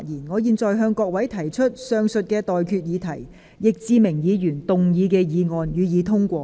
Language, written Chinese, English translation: Cantonese, 我現在向各位提出的待決議題是：易志明議員動議的議案，予以通過。, I now put the question to you and that is That the motion moved by Mr Frankie YICK be passed